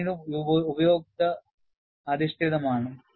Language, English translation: Malayalam, This is quite obvious; this is again user based